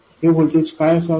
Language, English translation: Marathi, What should this voltage be